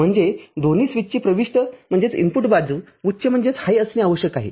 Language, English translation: Marathi, That means both the switches the input side needed to be high